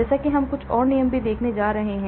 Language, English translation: Hindi, As we go along we are going to see some more rules as well